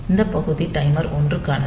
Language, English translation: Tamil, So, this part is for timer 1